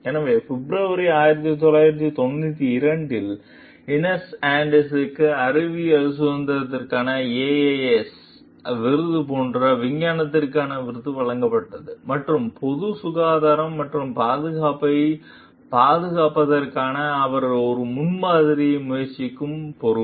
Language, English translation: Tamil, So, in February 1992, Inez Austin was awarded the award for scientific like the AAAS award for Scientific Freedom and Responsibility for her exemplary effort to protect the public health and safety